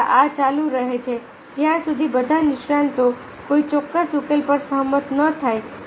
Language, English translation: Gujarati, lastly, this equation continue until all the experts agree on a particular solution